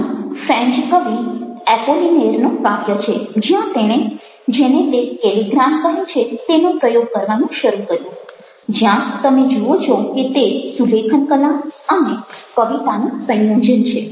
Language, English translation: Gujarati, here is a poem by apollinaire, the french poet, where he started experimenting with what he called calligrammes, where you see that its a combination of calligraphy as well as poetry